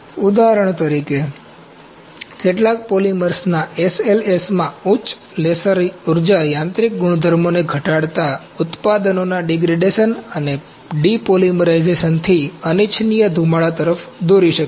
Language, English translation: Gujarati, For example, higher laser energies in SLS of some polymers may lead to an unwanted smoking from degradation and depolymerization of the products reducing the mechanical properties